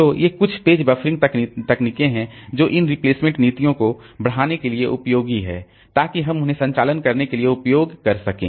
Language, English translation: Hindi, So these are some of the page buffering techniques that are useful to augment this replacement policies so that we can use them for doing operations